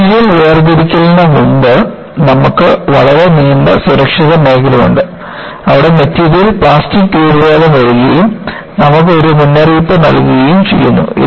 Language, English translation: Malayalam, This whole material separation, you have a very long safe zone, where in, the material deforms plastically and gives you a warning